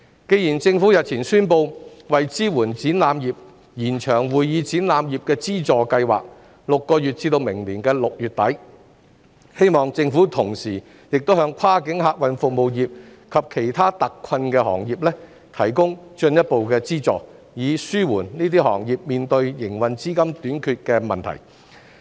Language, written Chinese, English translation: Cantonese, 既然政府日前宣布為支援展覽業而延長會議展覽業資助計劃6個月至明年6月底，我希望政府同時亦向跨境客運服務業及其他特困行業提供進一步資助，以紓緩該等行業面對營運資金短缺的問題。, Now that the Government has announced the extension of the Convention and Exhibition Industry Subsidy Scheme for six months until the end of June next year to support the exhibition industry I hope that the Government will concurrently provide further financial assistance to the cross - boundary passenger service sector and other hard - hit industries so as to alleviate the shortage of working capital faced by these industries